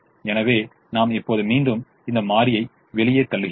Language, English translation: Tamil, so i go back now and push this variable out